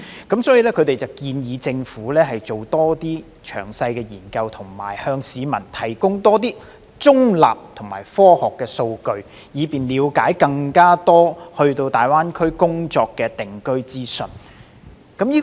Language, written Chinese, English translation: Cantonese, 因此，調查建議政府多作詳細研究和多向市民提供中立及科學的數據，以便市民了解更多大灣區的工作及定居資訊。, Therefore the survey has suggested the Government conducting more detailed studies and providing more neutral and scientific data to the public so that they can have more information about working and living in GBA